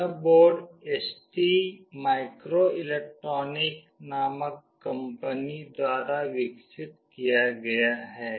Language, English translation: Hindi, This board is developed by a company called ST microelectronics